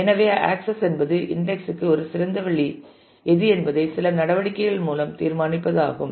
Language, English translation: Tamil, So, there are certain measures to decide as to what is a good way to index